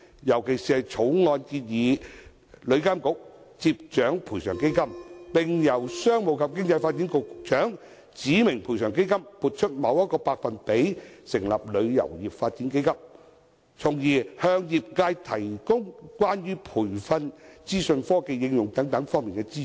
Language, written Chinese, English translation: Cantonese, 尤其而言，條例草案建議旅監局掌管賠償基金，並由商務及經濟發展局局長指明從該基金撥出某個百分比，以成立旅遊業發展基金，從而向業界提供關於培訓、資訊科技應用等方面的資助。, In particular the Bill proposes the Travel Industry Authority to take charge of the compensation fund and the Secretary for Commerce and Economic Development to prescribe a certain percentage of the fund for establishing the Travel Industry Development Fund so as to offer financial support in areas such as training and information technology application to the trade